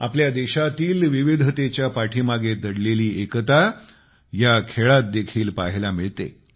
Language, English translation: Marathi, The unity, intrinsic to our country's diversity can be witnessed in these games